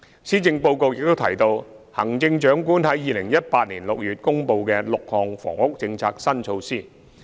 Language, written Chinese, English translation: Cantonese, 施政報告亦提到行政長官於2018年6月公布的6項房屋政策新措施。, The Policy Address also mentions the six new initiatives on housing announced by the Chief Executive in June 2018